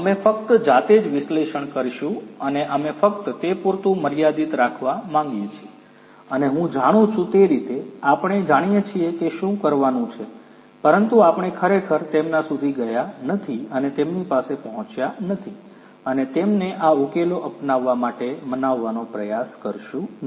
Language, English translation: Gujarati, We will only do the analysis ourselves and we want to restrict to that only and I know so, that way you know so, we know that what has to be done, but we really do not go and reach out to them and try to convince them to adopt these solutions